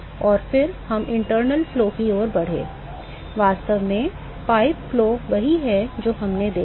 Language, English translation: Hindi, And then we moved on to internal flows; really pipe flow is what we looked at